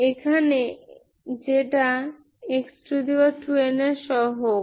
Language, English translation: Bengali, This is the coefficient of x power 2 n here